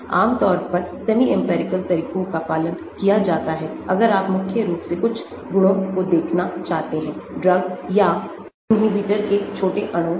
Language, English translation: Hindi, so generally semi empirical methods are followed if you want to look at certain properties of small molecules mainly drugs or inhibitors